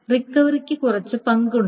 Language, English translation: Malayalam, So recovery has some more roles